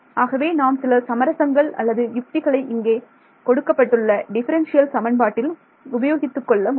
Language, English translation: Tamil, So, these are some of the compromises or tricks you can use given some differential equation